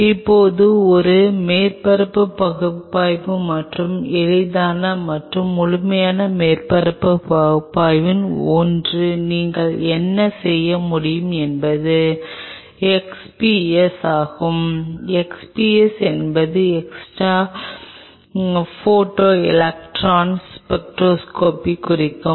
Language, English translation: Tamil, Now, doing a surface analysis and one of the easiest and most thorough surface analyses what you can do is X P S, x p s stands for x ray photo electron spectroscopy